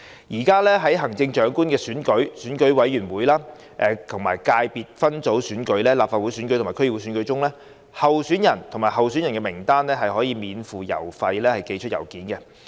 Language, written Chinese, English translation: Cantonese, 現時在行政長官選舉、選舉委員會界別分組選舉、立法會選舉及區議會選舉中，候選人或候選人名單可免付郵資寄出信件。, At present a candidate or a list of candidates may send letters free of postage in the Chief Executive Election Committee Subsector Legislative Council and District Council DC elections